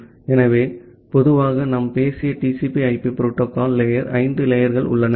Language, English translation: Tamil, So, in general we have five layers in the TCP/IP protocol stack that we have talked about